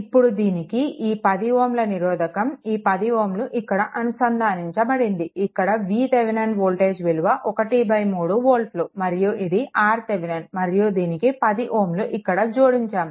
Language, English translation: Telugu, And with this this 10 ohm your this 10 ohm now is connected here, 10 ohm is this is your V Thevenin one third volt R Thevenin is this one and 10 ohm is connected here with that